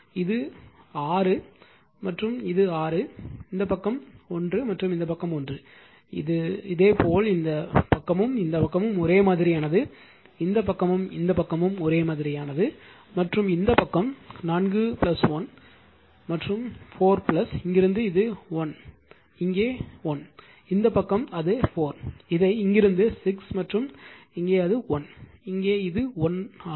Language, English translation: Tamil, this is actually 6, this is 6 right and this side is 1 and this side is 1, this similarly this side and this side identical right, this side and this side identical and this side 4 plus 1 and your 4 plus your what to call from here to here, it is 1 you get here 1 right, this side it is there yours 4 your what you call this from here to here it is 6 and here it is 1, here it is 1 right